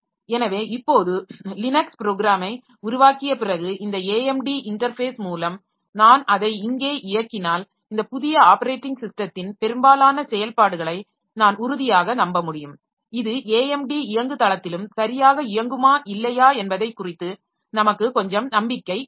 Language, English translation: Tamil, So, now after developing the Linux program if I run it here, so through this AMD interface then I can be sure of most of the operations of this new operating system that whether it will be run properly on the AMD platform also or not